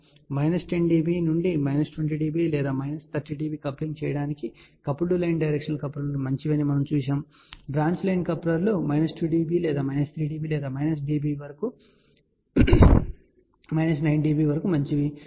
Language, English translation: Telugu, So, we had seen that coupled line directional couplers are good for coupling of minus 10 dB to minus 20 or minus 30 dB whereas, branch line couplers are good for minus 2 dB or minus 3 dB or up to minus 9 dB or so, ok